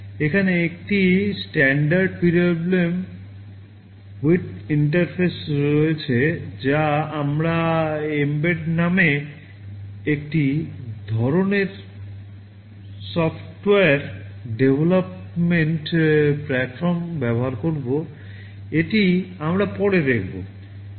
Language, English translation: Bengali, There is a standard PWMOut interface that we shall be using in some kind of software development platform called mbed, this we shall be seeing later